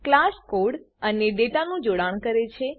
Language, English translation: Gujarati, Class links the code and data